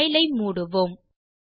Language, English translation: Tamil, Lets close this file